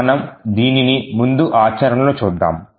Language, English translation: Telugu, So, we will first see this in action